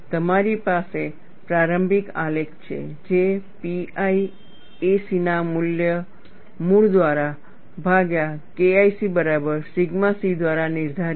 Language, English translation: Gujarati, You have a initial graph, which is dictated by sigma c equal to K 1 C divided by root of pi a c